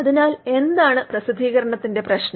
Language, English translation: Malayalam, So, what is bad about publication